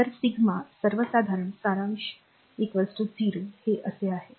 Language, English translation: Marathi, So, sigma in general summation is equal to 0 this is it